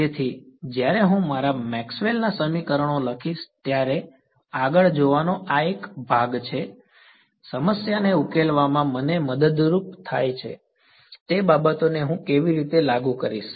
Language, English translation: Gujarati, So, this is the part of sort of looking ahead when I write down my Maxwell’s equations, how will I enforce anything what will help me to solve the problem